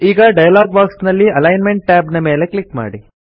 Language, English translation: Kannada, Now click on the Alignment tab in the dialog box